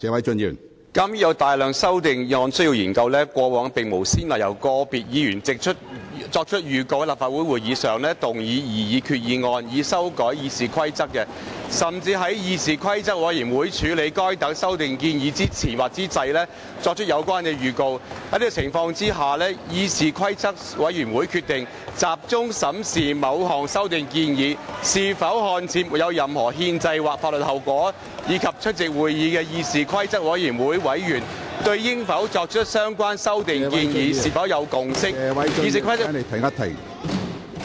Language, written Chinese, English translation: Cantonese, 鑒於有大量修訂議案需要研究，過往並無先例由個別議員作出預告，在立法會會議上動議擬議決議案以修改《議事規則》，甚至在議事規則委員會處理該等修訂建議之前或之際，作出有關的預告。在這樣的情況之下，議事規則委員會決定集中審視某項修訂建議是否看似沒有任何憲制或法律後果，以及出席會議的議事規則委員會委員對應否作出相關修訂建議有否共識，議事規則......, Given that there are a large number of amendment proposals to be dealt with and there is no precedent for individual Members to give notice to move proposed resolutions to amend RoP at a Council meeting not even to give notice before or during the handling of such amendment proposals by CRoP hence CRoP has decided to focus on examining a particular amendment proposal which does not seem to have any constitutional or legal consequence